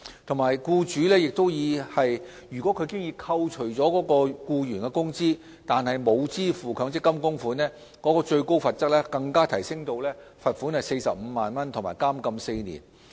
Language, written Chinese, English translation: Cantonese, 另外，如僱主已扣除僱員工資卻沒有支付強積金供款，最高罰則更提升至罰款45萬元及監禁4年。, In addition an employer who has failed to make MPF contributions after deducting an amount from employees income is even liable to a maximum penalty of a fine of 450,000 and imprisonment for four years